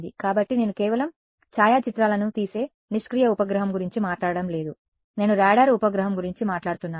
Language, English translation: Telugu, So, I am not talking about a passive satellite which just takes photographs, I am talking about a radar satellite